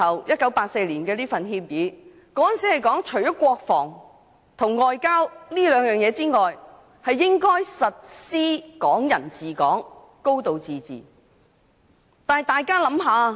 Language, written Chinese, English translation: Cantonese, 1984年的《中英聯合聲明》提到除國防和外交事務外，其餘事務均屬於"港人治港"、"高度自治"的範圍。, In the Sino - British Joint Declaration of 1984 it is mentioned that all affairs of Hong Kong shall be within the scope of Hong Kong people ruling Hong Kong and a high degree of autonomy with the exception of defence and foreign affairs